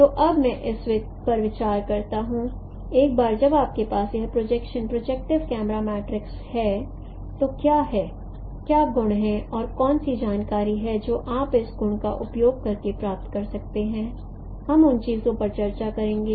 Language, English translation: Hindi, So let me now consider that once you have this projection projective camera matrix then then what are the properties and what are the information that you can get by exploiting these properties